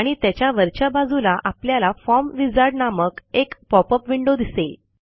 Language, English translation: Marathi, And on top of it we see a popup window, that says Form Wizard